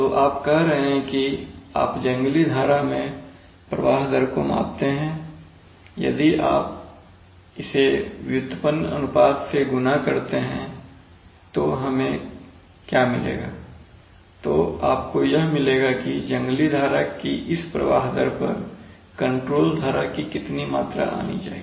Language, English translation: Hindi, So you are saying that you measure the flow rate in the wild stream, if you multiply by the derived ratio what we will get, you will get that at this flow rate of the wild stream how much of the control stream material should come